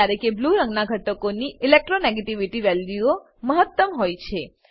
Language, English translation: Gujarati, Elements with blue color have highest Electronegativity values